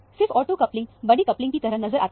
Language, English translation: Hindi, Only the ortho coupling is seen as a large coupling